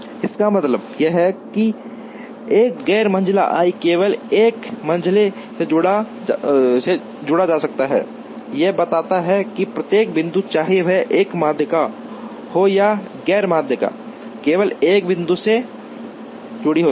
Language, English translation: Hindi, This means, that a non median i can be attached only to a median, this tells that, every point whether it is a median or a non median, is attached to only one point